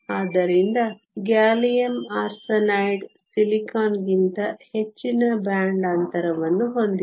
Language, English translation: Kannada, So, gallium arsenide has a higher band gap than silicon